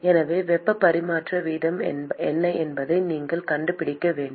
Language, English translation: Tamil, So, you need to find out what is the heat transfer rate